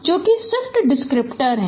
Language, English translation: Hindi, That is what is your shift descriptor